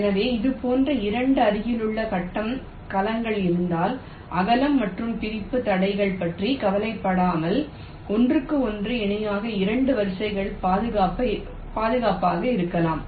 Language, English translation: Tamil, so the idea is that if there are two adjacent grid cells like this, then you can safely run two lines on them parallel to each other without worrying about the width and the separation constraints